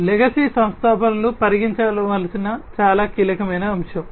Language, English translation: Telugu, Legacy installations are a very crucial aspect to be considered